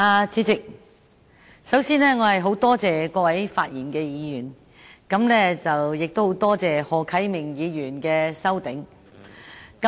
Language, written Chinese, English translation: Cantonese, 主席，首先，我十分多謝各位發言的議員，也十分多謝何啟明議員提出修正案。, President first of all I thank Members for their speeches and Mr HO Kai - ming for proposing the amendment